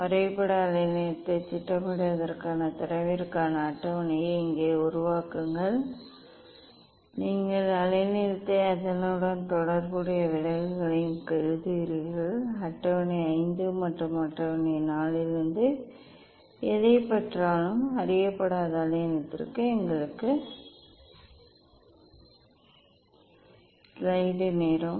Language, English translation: Tamil, Then just here make a table for data for plotting graph wavelength and you write wavelength and then corresponding deviation, whatever we got from table 5 and table 4 and for unknown wavelength also deviation we got